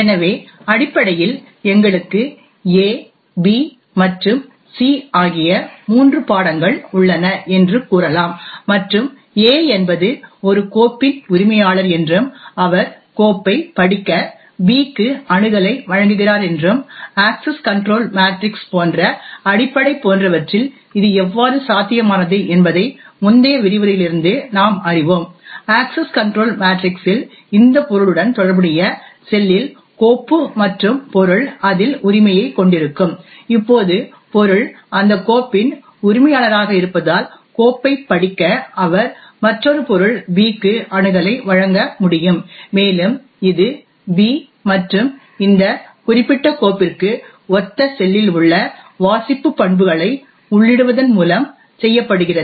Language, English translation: Tamil, subjects A, B and C and A is the owner of a file and he gives the access to B to read the file, from the previous lecture we know how this is made possible with something as rudimentary as the access control matrix, essentially in the access control matrix the cell corresponding to this object the file and the subject would have the ownership present in it, now since the subject is the owner of that file, he can grant access to another subject B to read the file and this is done by entering the read attribute in the cell corresponding to the subject B and this specific file